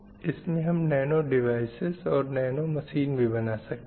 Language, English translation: Hindi, That is nanotechnology or nanobiology